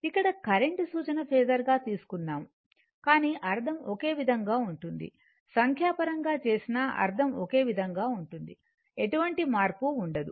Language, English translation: Telugu, And here current is taken as a reference phasor, but meaning is same when you will do the numerical also everything will remain same, there will be no change, right